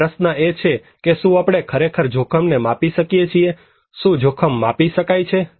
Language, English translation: Gujarati, Now, the question comes, can we really measure risk, can risk be measured